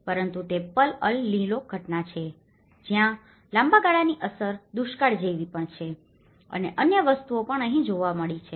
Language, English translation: Gujarati, But it is also the El Nino phenomenon where a longer term impact has also like drought and other things have also been seen here